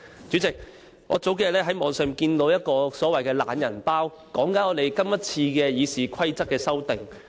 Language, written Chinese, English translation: Cantonese, 主席，數天前，我從網上看到一個所謂的"懶人包"，內部關於今次《議事規則》的修訂。, President a few days ago I read a so - called digest online concerning the amendments to the Rules of Procedure